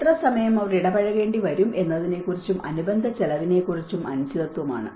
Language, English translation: Malayalam, Uncertainty as to how long they may need to be engaged and for the associated cost